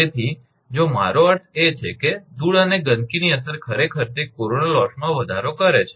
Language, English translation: Gujarati, So, if I mean if effect of dust and dirt actually it increases the corona loss